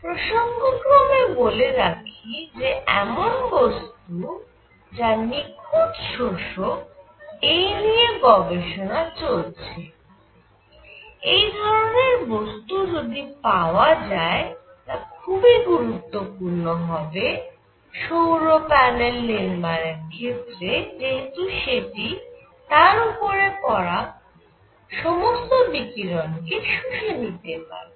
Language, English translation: Bengali, By the way just talking on the perfect absorbing material, there is research going on into this because a perfect absorbing material would be very nice for solar panels because it will absorb all the radiation coming on to it